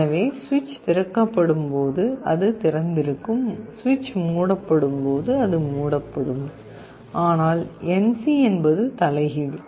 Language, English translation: Tamil, So, it is open when the switch is opened, it gets closed when the switch is closed, but NC is the reverse